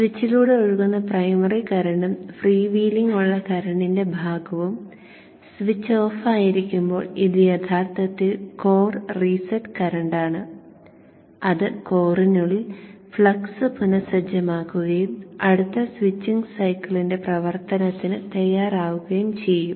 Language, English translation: Malayalam, The primary current that is flowing through the switch and the portion of the current that is freewheeling when the switch is off this is actually the core reset current the current that will reset the flux with it the core and makes it ready for operation in the next switching cycle